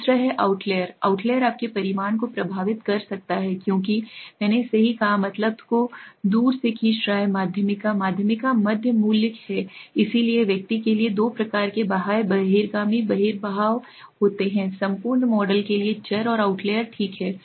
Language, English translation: Hindi, The second is outliers, outliers can influence your result as I said right, pulling the mean away from the median, median is the middle value so two types of outlier s exits outliers for the individual variables and outliers for the entire model, okay